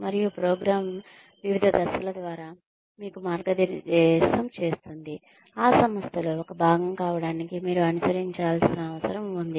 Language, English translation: Telugu, And, the program guides you through the different steps, that you will need to follow, in order to become, a part of that organization